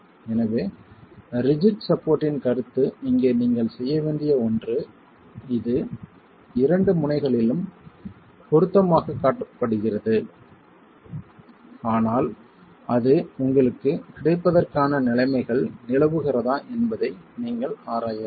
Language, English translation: Tamil, , the concept of the rigid support is something you will have to here it is ideally shown as fixity at the two ends but you have to examine if the conditions prevail for that to be available to you